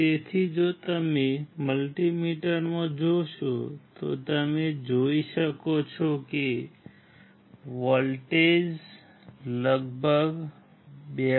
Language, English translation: Gujarati, So, if you see in the multimeter you can see the voltage is about 2